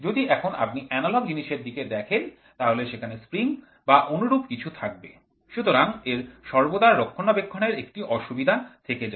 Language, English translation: Bengali, So, today if you see the analogous where there are springs and other things which are involved, so it always has maintenance issues